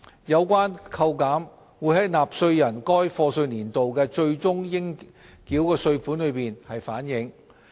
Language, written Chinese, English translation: Cantonese, 有關扣減會在納稅人該課稅年度的最終應繳稅款中反映。, The reduction will be reflected in taxpayers final tax payable for the year of assessment concerned